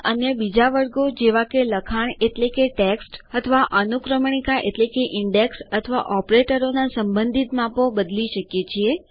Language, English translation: Gujarati, We can change the relative sizes of other categories such as the text or indexes or operators